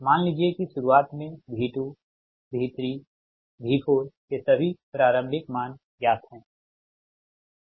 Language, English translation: Hindi, suppose initially all the initial values of v two, v three, v four are known